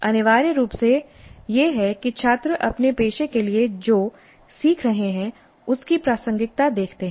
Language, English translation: Hindi, What is essentially is that the students see the relevance of what they are learning to their profession